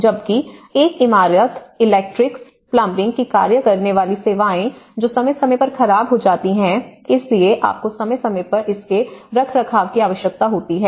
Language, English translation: Hindi, Whereas, the services working guts of a building, electrics, plumbing which wear out periodically, so you need a periodic maintenance of it